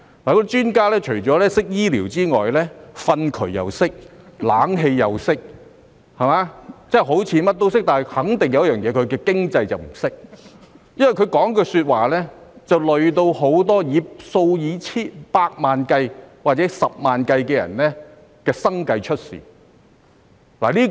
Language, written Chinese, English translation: Cantonese, 那些專家除了懂醫療之外，連糞渠、冷氣也懂，好像甚麼都懂，但肯定不懂經濟，因為他們說的話連累數以百萬或十萬計的人的生計出問題。, They are not only medical experts but also conversant with everything from dung channels to air - conditioning . While it seems that they are versatile they definitely know nothing about economy as their comments have put the livelihood of hundreds of thousands or a million people in difficulty